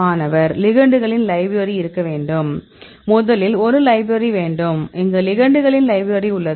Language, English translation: Tamil, we need to have a library of ligands So, first we need to have a library; so, ligand library we have